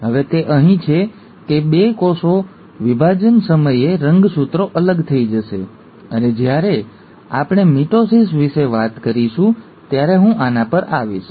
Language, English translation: Gujarati, Now it is here, that the two, at the time of cell division, the chromosomes will separate, and I will come to this when we talk about mitosis